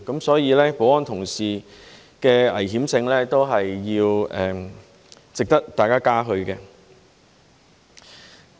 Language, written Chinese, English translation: Cantonese, 所以，保安同事勇於面對危險性，也是值得大家嘉許的。, Therefore the security colleagues are also worthy of our admiration for their courage in facing up to dangers